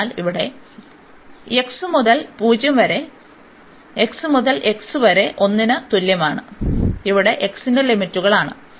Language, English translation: Malayalam, So, here from x is equal to 0 to x is equal to 1, these are the limits for x